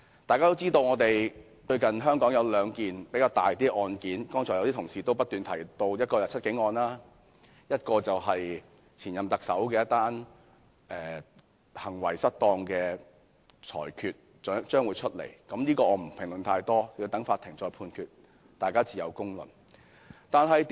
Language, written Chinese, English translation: Cantonese, 大家也知香港最近有兩宗較重大的案件，剛才有些同事也有提及，一宗是"七警案"，另一宗是有關前任特首行為失當案件，稍後將有裁決，我也不評論太多，等待法院判決，大家自有公論。, As Members should know there are two significant cases in Hong Kong recently . One is The Seven Cops case and the other is about the misconduct of the former Chief Executive . Since the Judgment of the latter case will soon come out I will not comment too much on it and will wait for the Judgment of the Court and the public will pass their own judgment